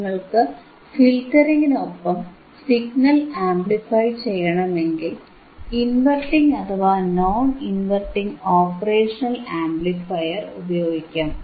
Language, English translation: Malayalam, So, if you want to amplify the signal along with filtering, you can use the operational amplifier in inverting or non inverting type